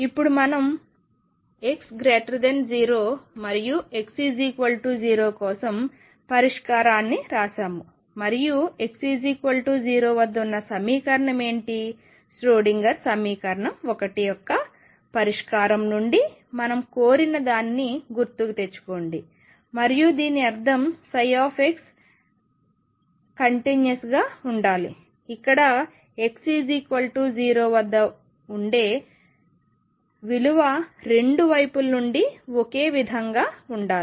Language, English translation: Telugu, Now, we have written the solution for x greater than 0 and x equal 0 what about at x equal to 0 is the equation, recall what we asked what we demanded from the solution of the Schrodinger equation 1 psi x be continuous and this means at x equals 0, the value should be the same from both sides